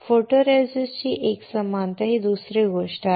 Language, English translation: Marathi, Uniformity of the photoresist is another thing